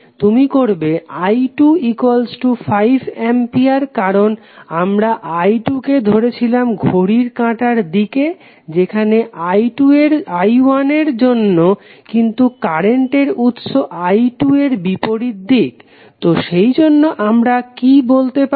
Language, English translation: Bengali, You will set current i 2 is equal to minus 5 ampere because the direction of i 2 we have taken as clockwise as we have taken for i 1 but the current source is opposite to what we have assume the current for i 2, so that is why what we will say